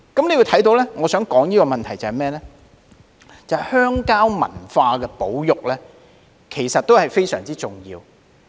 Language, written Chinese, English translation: Cantonese, 我提出這個問題是想指出保育鄉郊文化亦非常重要。, I raise this problem because I want to point out the importance of preserving rural culture